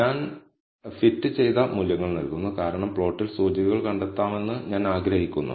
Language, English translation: Malayalam, I am giving fitted values is, because on the plot, I want the indices to be found